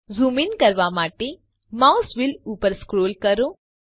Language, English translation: Gujarati, Scroll the mouse wheel upwards to zoom in